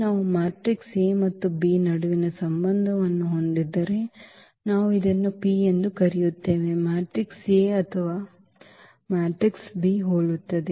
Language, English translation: Kannada, If we have this relation between the between the matrix A and B, then we call this P is similar to the matrix A or A is similar to the matrix B